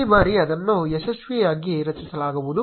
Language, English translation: Kannada, This time it will successfully get created